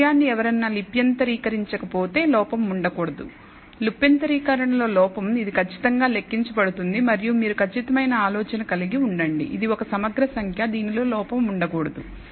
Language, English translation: Telugu, So, there cannot be an error unless somebody transcribes this thing, the error in transcription, this can be exactly counted and you would have a precise idea it is an integral number that cannot be an error in this